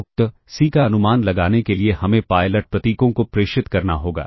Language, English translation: Hindi, So, to estimate the CSI implies we have to transmit pilot symbols